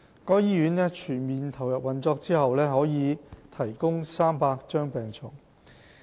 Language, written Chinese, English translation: Cantonese, 該醫院全面投入運作後預計可提供300張病床。, Tin Shui Wai Hospital will provide 300 hospital beds when it comes into full operation